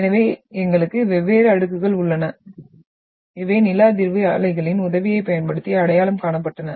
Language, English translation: Tamil, So we have different layers and we, these were been identified using or with the help of the seismic waves